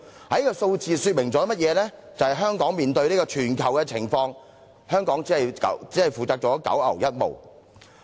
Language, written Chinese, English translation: Cantonese, 這數字說明香港相對於全球的難民情況，所負責的只是九牛一毛。, The figures reveal that as compared with the global refugee trends the burden shouldered by Hong Kong is just like a drop in the bucket